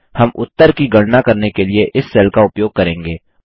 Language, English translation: Hindi, We shall use this cell to compute the result